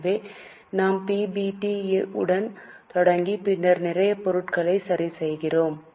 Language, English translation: Tamil, So, we start with PBT, then adjust for a lot of items